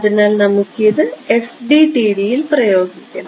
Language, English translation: Malayalam, So, we want to impose this in FDTD ok